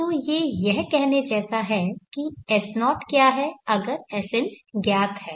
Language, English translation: Hindi, So it is like saying that what is S0 the given Sn is known